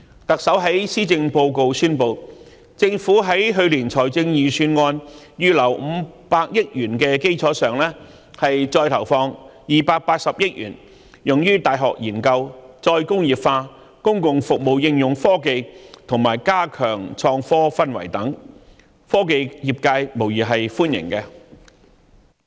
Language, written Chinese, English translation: Cantonese, 特首在施政報告宣布，政府會在去年財政預算案預留500億元的基礎上，再投放280億元用於大學研究、再工業化、公共服務應用科技，以及加強創科氛圍等，科技業界對此無疑是歡迎的。, In her Policy Address the Chief Executive announced that further to the 50 billion earmarked in last years Budget an additional 28 billion will be allocated for university research re - industrialization application of technology in public services and fostering of an enabling environment for innovation and technology etc which is undoubtedly welcomed by the technology industry